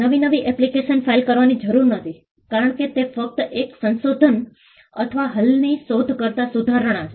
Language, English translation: Gujarati, There is no need to file a fresh new application because, it is just a modification or an improvement over an existing invention